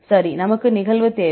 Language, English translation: Tamil, Right, we need the occurrence